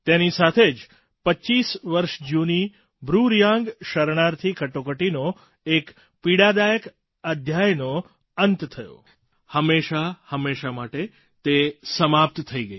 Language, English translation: Gujarati, With it, the closeto25yearold BruReang refugee crisis, a painful chapter, was put to an end forever and ever